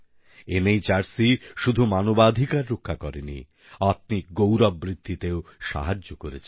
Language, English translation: Bengali, The NHRC has not only protected human rights but has also promoted respect for human dignity over the years